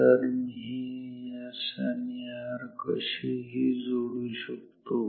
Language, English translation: Marathi, So, I connect this to S and R arbitrarily